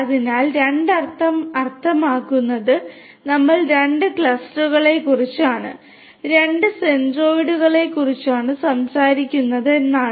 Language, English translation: Malayalam, So, 2 means would mean that we are talking about two clusters, two centroids